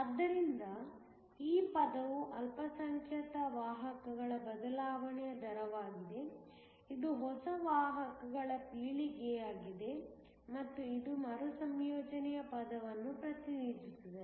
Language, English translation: Kannada, So, this term is a rate of change of minority carriers, this one is the generation of new carriers and this one represents the recombination term